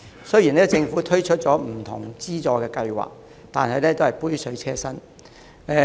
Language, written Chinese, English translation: Cantonese, 雖然政府已推出不同的資助計劃，但只是杯水車薪。, Though various subsidy schemes have been rolled out by the Government they can merely offer minimal help to the situation